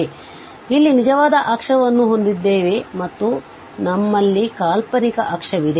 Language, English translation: Kannada, So, we have the real axis here and we have the imaginary axis